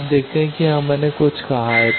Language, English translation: Hindi, So, you see that here about magnitude something I said